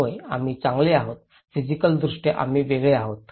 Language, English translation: Marathi, Yes, we are different well, physically we are different